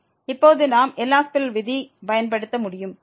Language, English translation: Tamil, And now we can apply the L’Hospital rule